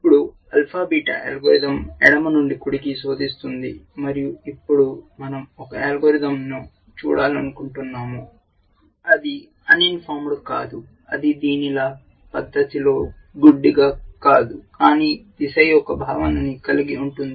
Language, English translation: Telugu, Now, alpha beta algorithm searches from left to right and we want to now look for a algorithm which is not uninformed, which is not blind in this manner, but has a sense of direction